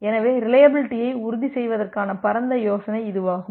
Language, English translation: Tamil, So, this is the broad idea of ensuring reliability